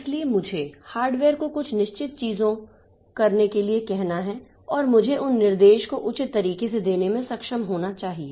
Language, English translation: Hindi, So, I have to tell the hardware to do certain things in certain fashion and I should be able to give those comments in a proper way